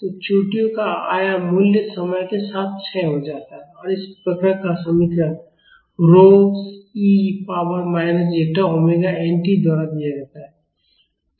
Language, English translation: Hindi, So, the amplitude value of the peaks decay with time and the equation of this envelope curve is given by rho e to the power minus zeta omega n t